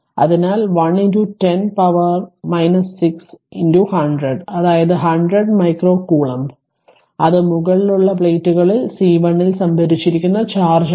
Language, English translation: Malayalam, So, one into 10 to the power minus 6 into 100 that is 100 micro coulomb that that is the charge stored on the top plates C 1 right